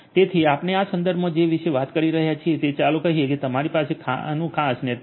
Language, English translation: Gujarati, So, what we are talking about in this context is let us say that you have a certain network like this